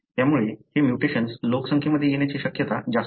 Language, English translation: Marathi, Therefore, you have more chance of this mutation coming into the population